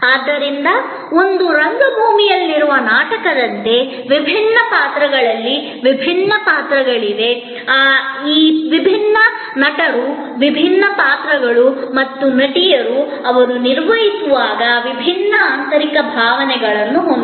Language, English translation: Kannada, So, just as in a play in a theater, there are different characters in different roles, now those characters, those actors and actresses as they perform may have different inner feelings